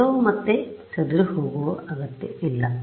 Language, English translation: Kannada, Everything need not scatter back